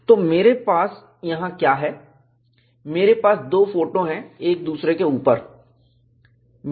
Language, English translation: Hindi, So, what I have here is, I have two pictures superimposed